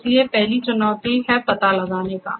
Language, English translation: Hindi, So, first challenge is the detection